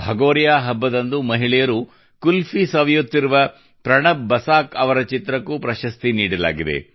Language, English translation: Kannada, A picture by PranabBasaakji, in which women are enjoying Qulfi during the Bhagoriya festival, was also awarded